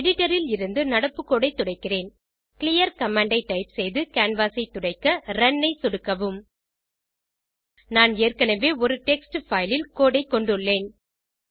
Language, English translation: Tamil, I will clear the current code from editor.type clear command and Run to clean the canvas I already have a code in a text file